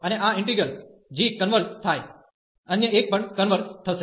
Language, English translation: Gujarati, And since this integral g converges, the other one will also converge